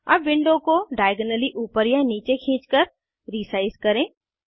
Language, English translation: Hindi, Now resize the window by dragging diagonally upwards or downwards